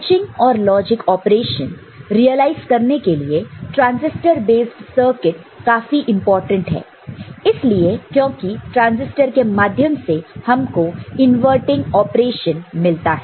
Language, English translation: Hindi, Transistor based circuits are important for realization of this switching and logic operations, because we get inverting operation through transistors